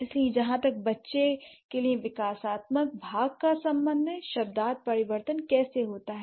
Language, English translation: Hindi, So how this semantic change happens as far as the developmental part is concerned for a child